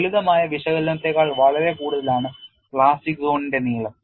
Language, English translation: Malayalam, The plastic zone length is much longer than the simplistic analysis